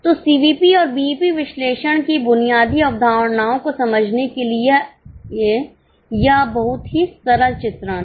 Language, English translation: Hindi, So, now this was a very simple illustration to understand the basic concepts of CVP and BEP analysis